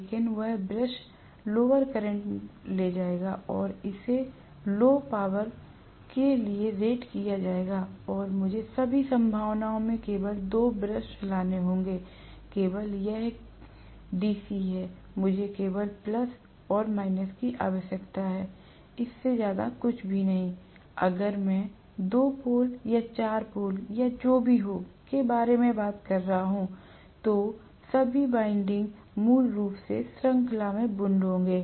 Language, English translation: Hindi, But that brush will carry lower current and it will be rated for lower power and I have to bring out only 2 brushes in all probability, because it is only DC, I will require only plus and minus, nothing more than that, if I am talking about, even 2 pole or 4 pole or whatever, all the windings will be wound in series basically